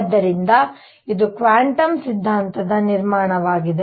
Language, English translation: Kannada, So, this was the build up to quantum theory